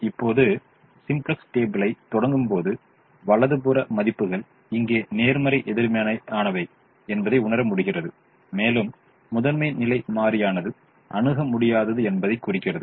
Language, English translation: Tamil, now, when we start the simplex table, we realize that the right hand side values are positive, negative here and positive, indicating that the primal is infeasible